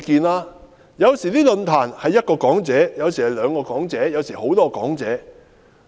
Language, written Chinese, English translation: Cantonese, 論壇有時有一位講者，有時有兩位講者，有時有多位講者。, The forums may have one or two speakers and sometimes a number of speakers